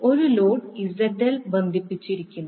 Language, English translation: Malayalam, We have a load ZL is connected